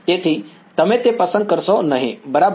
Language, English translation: Gujarati, So, you do not choose that right